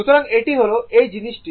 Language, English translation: Bengali, So, this is this is thing